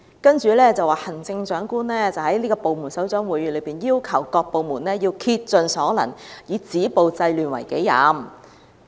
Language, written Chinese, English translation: Cantonese, 為此，行政長官曾在部門首長會議清楚要求所有部門須竭盡所能，以止暴制亂為己任。, At a meeting with the Heads of Departments Chief Executive clearly required all bureaux and departments to spare no effort in stopping violence and curbing disorder